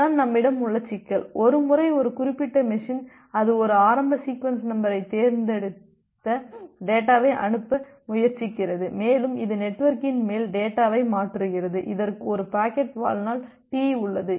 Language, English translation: Tamil, Well so this is the problem that we have, like once a particular machine it is once a particular machine it is trying to send the data it has chosen one initial sequence number, and it is transferring the data on top of the network and we have a packet lifetime T